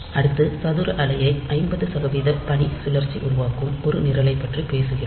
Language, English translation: Tamil, Next, we talk about a program that produces a square wave of duty cycle 50 percent